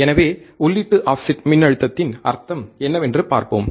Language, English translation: Tamil, So, let us see input offset voltage experiment